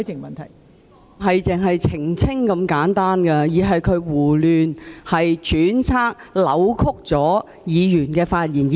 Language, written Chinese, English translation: Cantonese, 問題不止是澄清那麼簡單，而是她胡亂揣測、扭曲了議員的發言。, My point is not as simple as seeking elucidation . Dr CHIANG has irresponsibly speculated a Members motives and distorted his speech